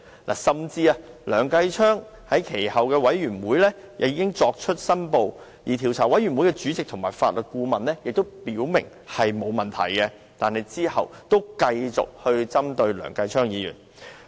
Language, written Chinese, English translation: Cantonese, 其後，即使梁議員在專責委員會作出申報，而專責委員會主席及法律顧問均表明沒有問題，梁振英仍繼續針對他。, Thereafter notwithstanding the declaration made by Mr Kenneth LEUNG at the Select Committee as well as the acceptance of such by both the Chairman and Legal Adviser of the Select Committee LEUNG Chun - ying still kept targeting Mr Kenneth LEUNG